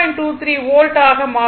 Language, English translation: Tamil, 23 volt right